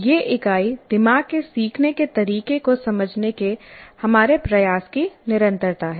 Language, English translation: Hindi, And in the, this unit is continuation of the, our effort to understand how brains learn